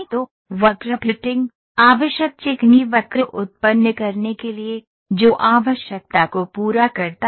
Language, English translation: Hindi, So, the curve fitting, to generate the necessary smooth curve, that that satisfies the requirement ok